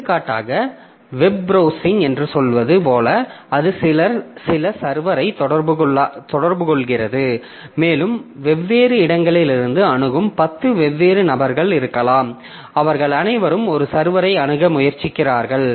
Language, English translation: Tamil, So, web browsing ultimately it is contacting some server and maybe there are 10 different people who are accessing from different places and all of them are trying to access a server